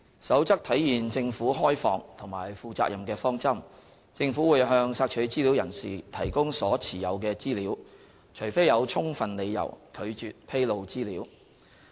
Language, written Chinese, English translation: Cantonese, 《守則》體現政府開放和負責任的方針，政府會向索取資料人士提供所持有的資料，除非有充分理由拒絕披露資料。, The Code provides that for the sake of openness and accountability the Government will make available information that it holds to the information requestor unless there are valid reasons to withhold disclosure of information